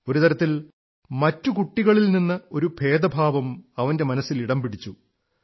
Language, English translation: Malayalam, In a way, the feeling of being distinct from the rest of the children, took over his mind